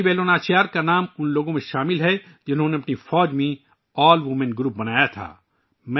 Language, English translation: Urdu, The name of Rani Velu Nachiyar is included among those who formed an AllWomen Group for the first time in their army